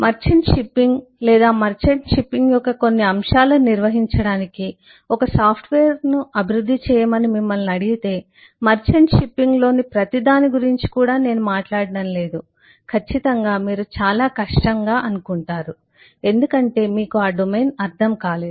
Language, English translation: Telugu, If you are asked to develop a software to manage merchant shipping or certain aspect of merchant shipping am not even talking about everything in merchant shipping Certainly you will find it very, very difficult